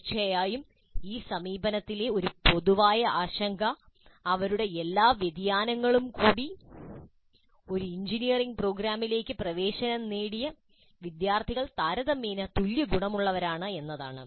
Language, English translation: Malayalam, Of course, one common concern with this approach, with all its variations also, is that students admitted to an engineering program are relatively homogeneous